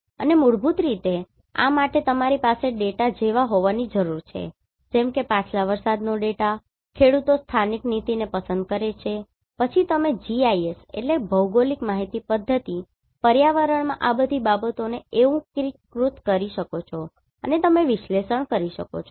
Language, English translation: Gujarati, And basically for this one, you need to have the data like previous rainfall farmers preference local policy then you can integrate all these things in GIS environment and you can perform the analysis